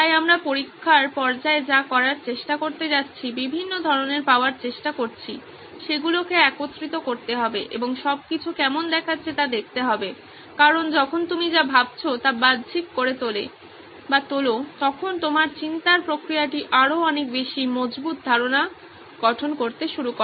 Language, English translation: Bengali, So this is what we are going to try to do in the testing phase, trying to get different ideas, merge them together and see how it all looks like because when you externalise what you are thinking, your thought process it starts forming much more concrete idea